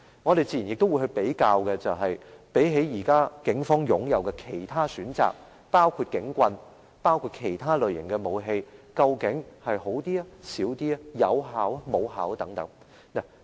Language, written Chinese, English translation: Cantonese, 我們自然也會比較，相比警方現時擁有的其他選擇，包括警棍和其他類型的武器，水炮車是否更有效，效用較大或較小。, We will also make a comparison to see whether water cannon vehicles will be more efficient and whether they will be more effective or less than the existing options available to the Police including batons and other kinds of weapons